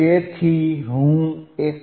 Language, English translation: Gujarati, If I go to 1